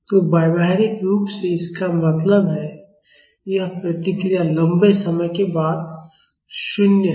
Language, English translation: Hindi, So, practically that means, this response is 0 after a long time